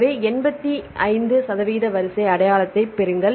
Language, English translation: Tamil, So, get the eighty five percent of sequence identity